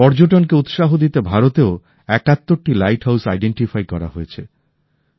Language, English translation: Bengali, To promote tourism 71 light houses have been identified in India too